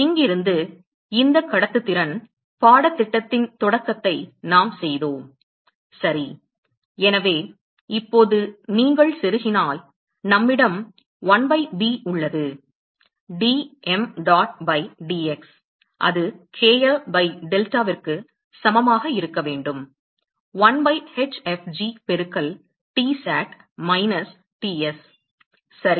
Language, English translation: Tamil, So, from here the conduction that we did the start of this course ok; so, now, if you plug that in we have 1 by b; d mdot by dx that should be equal to kl by delta, 1 by hfg into Tsat minus Ts ok